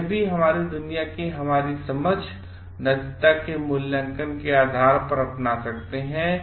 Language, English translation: Hindi, So, this also we can do based on adopt this based on our understanding of the world, and our own evaluation of ethics